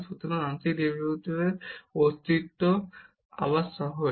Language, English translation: Bengali, So, the existence of partial derivatives again it is easier